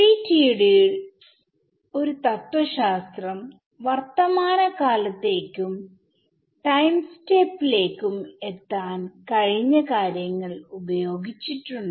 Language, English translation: Malayalam, So, the philosophy in FDTD has been use the past to get to the present and time step